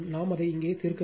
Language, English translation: Tamil, I have not solved it here